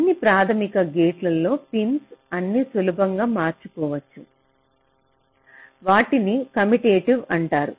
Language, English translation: Telugu, for all the basic gates, the pins are all commutative and you can easily swap all of them, right